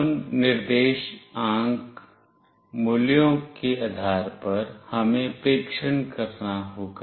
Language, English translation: Hindi, Based on that coordinate values, we have to test